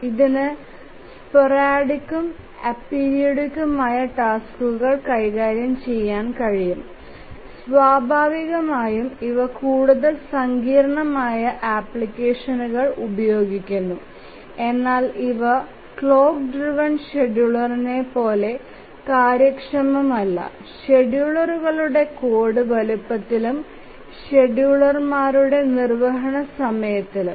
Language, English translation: Malayalam, This can handle the sporadic and apiridic tasks and naturally these are used more complex applications but these are not as efficient as the clock driven scheduler both in terms of the code size of the schedulers and also the execution time of the schedulers